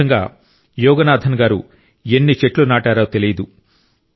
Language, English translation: Telugu, In this way, Yoganathanji has got planted of innumerable trees